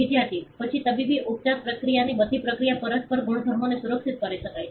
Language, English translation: Gujarati, Student: Then the medical therapy is all process of procedures can be protected to mutual properties